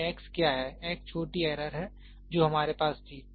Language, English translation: Hindi, What is this x; x is the small error whatever we had